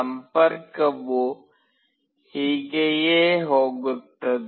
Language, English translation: Kannada, This is how the connection goes